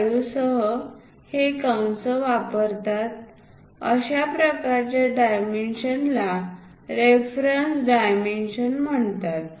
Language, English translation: Marathi, 5 and arrow heads, that kind of dimensions are called reference dimensions